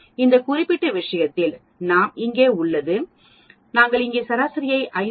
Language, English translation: Tamil, In this particular case we have here and we have here take an average it comes to 501